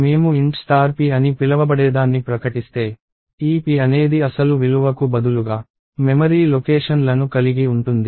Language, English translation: Telugu, If I declare something called int star p, this p can contain memory locations instead of the actual value